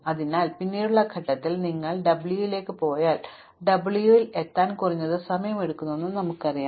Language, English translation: Malayalam, So, at a later stage if you go to w, we know that we will take at least that much time to reach w